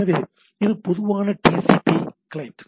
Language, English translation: Tamil, So, it is generic TCP sorry TCP client